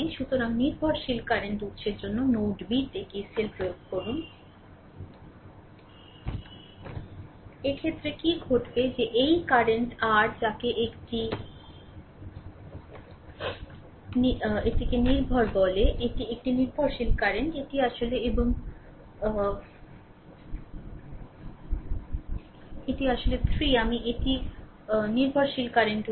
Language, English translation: Bengali, So, for dependent current source we apply KCL at node B, in this case, what will happen that this current your what you call this is a dependent this is a dependent current; this is actually I and this is actually 3 I, this is a dependent current source, right